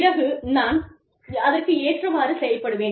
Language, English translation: Tamil, And then, I can work towards them